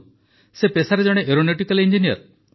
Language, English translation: Odia, By profession he is an aeronautical engineer